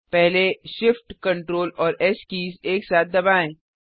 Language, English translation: Hindi, First press Shift, Ctrl and S keys simultaneously